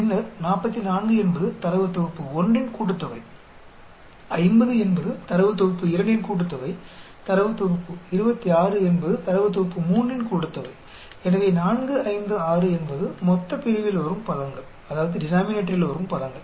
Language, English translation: Tamil, 4, 5, 6 then 44 is the sum for data set 1, 50 the sum for data set 2, 26 the sum of data set 3 so 4, 5, 6 is the terms that is coming in denominator